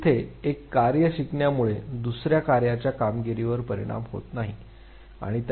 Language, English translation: Marathi, So, learning of one task there is not affect the performance on the other task